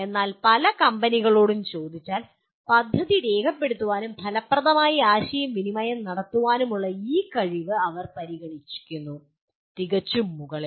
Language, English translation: Malayalam, But if you look at if you ask many companies, they consider this ability to document plan and communicate effectively fairly at the top